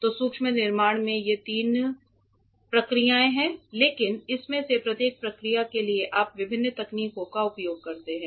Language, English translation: Hindi, So, these are the main three processes in micro fabrication, but for each of these processes you use different techniques ok